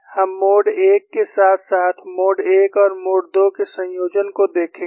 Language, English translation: Hindi, We will see for the mode 1 as well as combination of mode 1 and mode 2